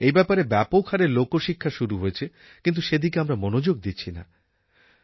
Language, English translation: Bengali, A lot of Public Education Programmes are being conducted but we do not pay attention